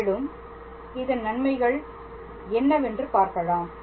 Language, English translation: Tamil, And we will see what are its benefits over the time